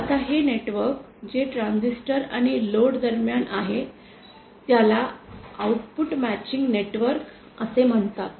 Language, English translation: Marathi, Now this network that is that between the transistor and the load is called the output matching network